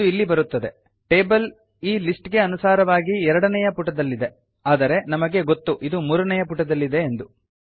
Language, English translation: Kannada, Here it comes, the table according to this list is in page two but we know that it is in page 3